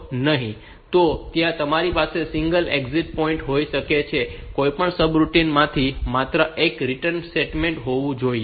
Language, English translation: Gujarati, So, or you can have you can you should also have a single exit point, should not be there should be only one return statement from any subroutine